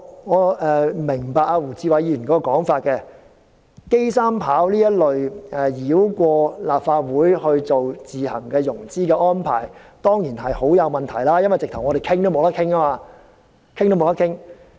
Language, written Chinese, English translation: Cantonese, 我明白胡志偉議員的說法，機場三跑這一類繞過立法會作自行融資的安排當然很有問題，因為在立法會完全沒有討論的機會。, I understand the point made by Mr WU Chi - wai . This self - financing approach that bypasses the Legislative Council as in the case of the third runway at the airport is certainly questionable because the Legislative Council is entirely denied an opportunity of discussion